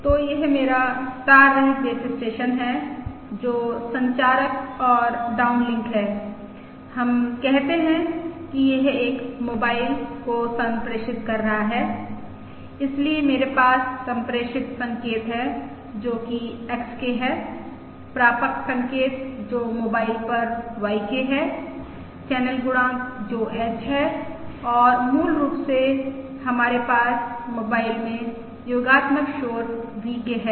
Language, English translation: Hindi, let us say it is transmitting to a mobile and therefore I have the transmitted signal, which is XK, the received signal, which is YK, at the mobile channel coefficient, which is H, and basically also we have additive noise VK at the mobile